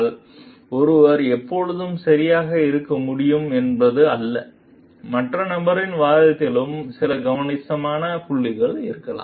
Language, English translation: Tamil, So, it is not that one could always be correct; there could be some substantial point in the other person s argument also